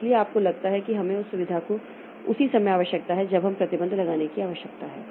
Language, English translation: Hindi, So, you see we need to have that facility at the same time we need to have a restriction